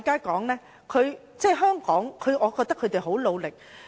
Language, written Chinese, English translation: Cantonese, 我認為香港警察已很努力。, I think the Hong Kong Police have worked hard